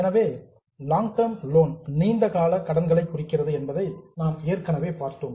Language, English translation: Tamil, So, we have already seen that A refers to long term loans, B referred to defer tax liability